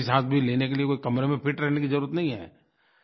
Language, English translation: Hindi, And for deep breathing you do not need to confine yourself to your room